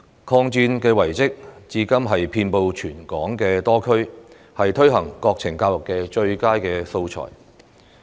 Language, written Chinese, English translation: Cantonese, 抗戰遺蹟至今遍布全港多區，是推行國情教育的最佳素材。, The relics of the war which are scattered all over the territory even today are the best materials for national education